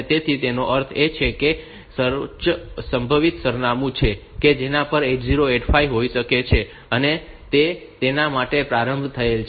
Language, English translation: Gujarati, So, that it means that it is the highest possible address at which the 8085 can have, and it is initialized to that so it is initialized to the bottom of the memory